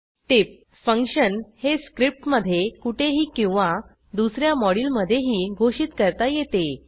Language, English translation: Marathi, Note: function definition can be written anywhere in the script or in another module